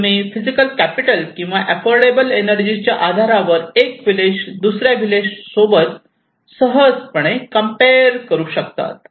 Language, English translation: Marathi, So, this defines one village, you can compare easily from one village to another village based on physical capital or affordable energy